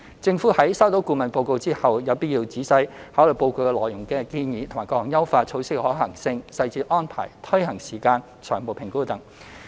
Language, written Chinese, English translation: Cantonese, 政府在收到顧問報告後，有必要仔細考慮報告內建議的各項優化措施的可行性、細節安排、推行時間、財務評估等。, Upon receipt of the consultants report it is necessary for the Government to consider carefully the feasibility detailed arrangements timing of implementation financial assessment and so on of the optimization measures proposed in the report